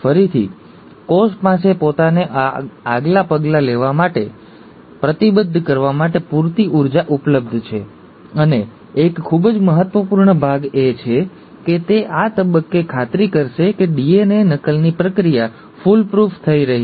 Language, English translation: Gujarati, Again, there is sufficient energy available with the cell to commit itself to the next step, and a very important part is that it will make sure at this stage that the process of DNA replication has been foolproof